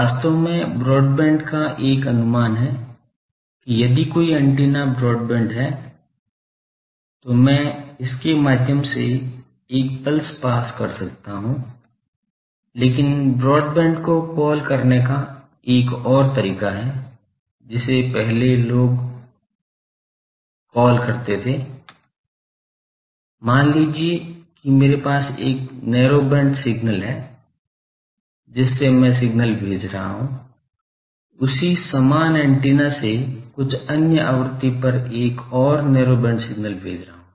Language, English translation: Hindi, Actually broadband has a conation that if an antenna is broadband then I can, I will be able to pass a pulse through it, but there is another way of calling broadband, which earlier people use to call that, suppose I am having a narrow band signal, I am sending that with the same antenna another narrow band signal at some other frequency I am sending